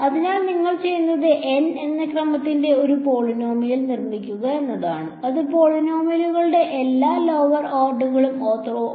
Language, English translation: Malayalam, So, what you do is you construct a polynomial of order N such that it is orthogonal to all lower orders of polynomials ok